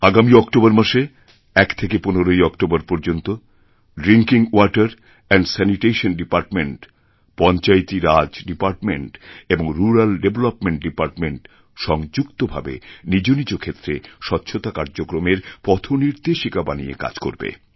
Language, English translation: Bengali, In the coming October month, from 1st October to 15th October, Drinking Water and Sanitation Department, Panchayati Raj Department and Rural Development Department these three are going to work under a designated roadmap in their respective areas